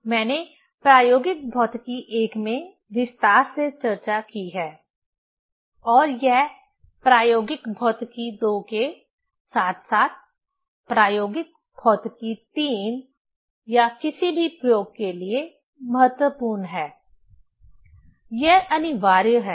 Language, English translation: Hindi, In details I have discussed in the experimental physics I and it is important for experimental physics II as well as experimental physics III or for any experiment, it is compulsory